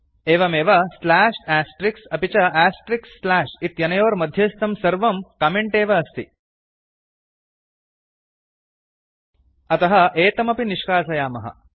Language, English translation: Sanskrit, Similarly every thing that is in between slash Astrix , and Astrix slash is also a comment So let us remove this comments also